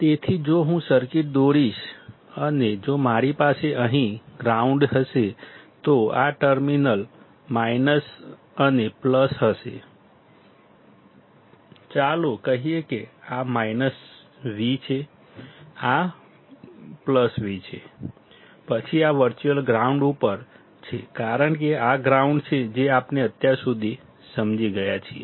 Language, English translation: Gujarati, So, if I draw a circuit and if I have ground here, then this terminal minus and plus; let us say this is V minus, this is V plus, then this is at virtual ground because this is ground, that is what we have understood until now